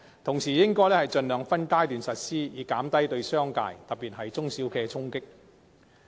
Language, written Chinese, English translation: Cantonese, 此外，亦應盡量分階段實施，以減低對商界，特別是中小企的衝擊。, Moreover the abolition should be implemented in phases to minimize the impact on the business sector especially SMEs